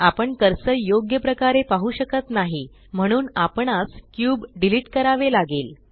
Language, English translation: Marathi, We cant see the cursor properly so we must delete the cube